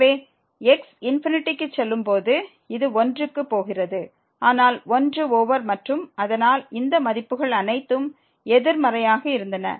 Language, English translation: Tamil, So, when goes to infinity this is going to 1, but 1 over and so, all these values were negative